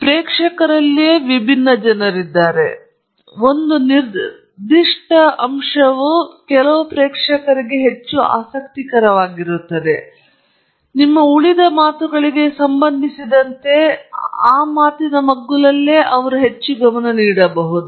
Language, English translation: Kannada, So, for different people in the audience, there may be a particular aspect of your talk that is more interesting, and so they may pay more attention to that aspect of your talk relative to the rest of it